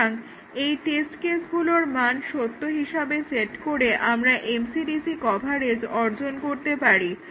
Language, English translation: Bengali, So these are the test cases which set to this truth values will achieve MCDC coverage